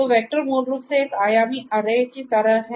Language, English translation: Hindi, So, vector is basically like a one dimensional array